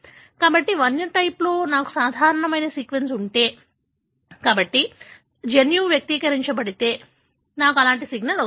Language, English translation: Telugu, So, if in the wild type I have a normal sequence, therefore the gene is expressed, I get a signal like this